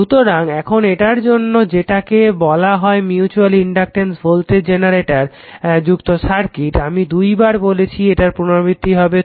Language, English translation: Bengali, So, now because of this if like your way or your what you call that is a circuit with mutual inductance voltage generator, I told you twice it will be it will be repeated right